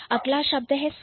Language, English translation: Hindi, Then you have sky blue